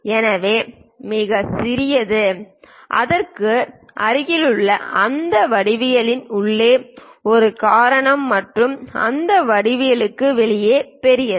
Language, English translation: Tamil, So, this is the smallest one that is a reason inside of that geometry near to that and the large one outside of that geometry